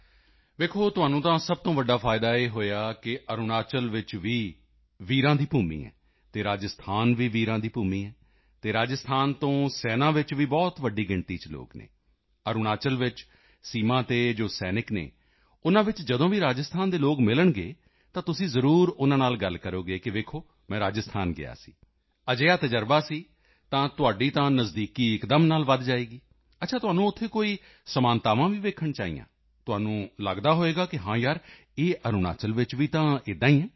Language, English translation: Punjabi, See, the biggest advantage you have got is thatArunachal is also a land of brave hearts, Rajasthan is also a land of brave hearts and there are a large number of people from Rajasthan in the army, and whenever you meet people from Rajasthan among the soldiers on the border in Arunachal, you can definitely speak with them, that you had gone to Rajasthan,… had such an experience…after that your closeness with them will increase instantly